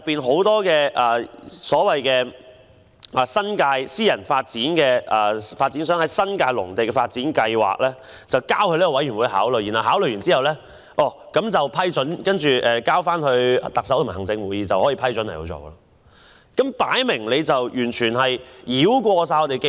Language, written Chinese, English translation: Cantonese, 很多私人發展商把新界農地的發展計劃提交予該委員會考慮，該委員會考慮後再經行政長官會同行政會議給予批准，便可落實推行。, Many private developers submitted their development projects for agricultural lands in the New Territories to the Advisory Committee for consideration . Upon consideration by the Advisory Committee and approval by the Chief Executive in Council the projects can be implemented